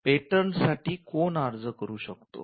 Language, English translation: Marathi, Who can apply for patents